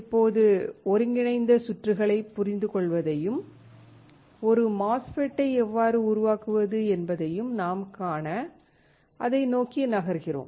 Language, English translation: Tamil, Now, you see we are moving towards understanding the integrated circuits and how we can fabricate a MOSFET